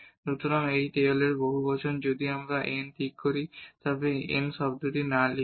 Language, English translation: Bengali, So, that is the Taylor’s polynomial if we fix this n and do not write this r n term